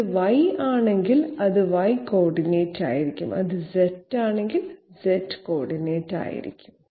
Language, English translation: Malayalam, If it is Y, it will be Y coordinate, if it is Z it will be Z coordinate